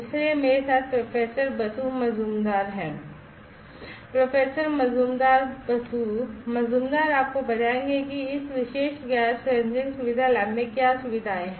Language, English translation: Hindi, So, I have with me Professor Basu Majumder; Professor Majumder Basu Majumder would you please tell me what are the facilities in this particular gas sensing facility lab